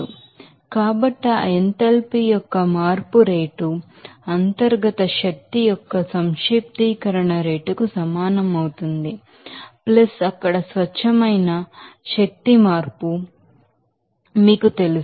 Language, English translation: Telugu, So, rate of change of that enthalpy will be equal to rate of summation of internal energy + rate open you know pure energy change there